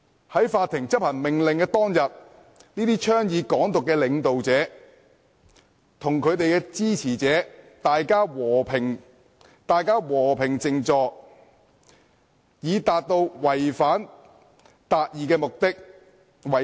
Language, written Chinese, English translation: Cantonese, 在執行法庭命令當天，這些倡議"港獨"的領導者叫支持者和平靜坐，以達到違法達義的目的。, On the day when the Court order was enforced these leaders advocating Hong Kong independence asked supporters to stage a peaceful sit - in in order to serve the purpose of achieving justice by violating the law